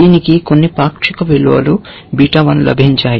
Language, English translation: Telugu, It has got some partial values beta 1